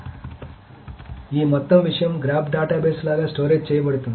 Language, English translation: Telugu, So this entire thing is stored like a graph database